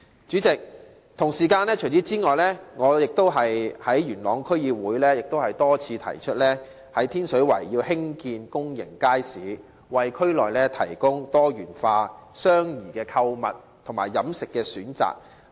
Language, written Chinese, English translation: Cantonese, 主席，此外，我亦曾於元朗區議會多次提出需要在天水圍興建公眾街市，為區內提供多元化及相宜的購物和飲食選擇。, Moreover President I have mentioned in Yuen Long District Council a number of times the need to construct a public market in Tin Shui Wai to provide diversified and affordable choices of shopping and dining in the district